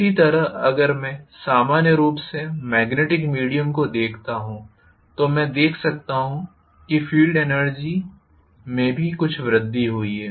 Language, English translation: Hindi, Similarly, if I look at the magnetic via media normally I may see that there is some increase in the field energy also